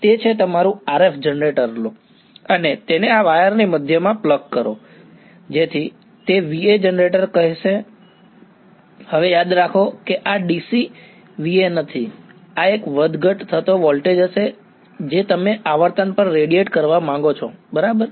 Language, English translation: Gujarati, So, that is one take your RF generator and plug it into the middle of this wire so, that is going to generate a V A; now remember this is not DC VA right this is going to be a voltage that is fluctuating at the frequency you want to radiate at right